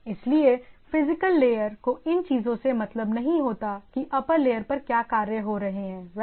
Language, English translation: Hindi, So, as long as the physical layer is concerned, it is not bothered about what is going on the upper layer things right